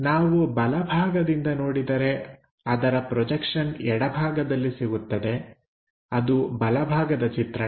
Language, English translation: Kannada, From right side, if we are trying to look at, the projection will be on the left hand side; so, right side view